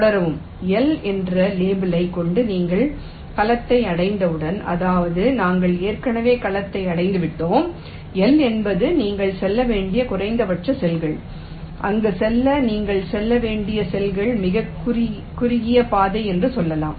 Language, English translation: Tamil, in this way you proceed as soon as you reach the cell with label l, which means we have already reached the cell and l is the minimum number of, you can say, cells you have to traverse to reach there